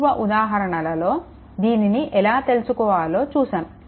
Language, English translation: Telugu, Earlier, we have seen that how to find out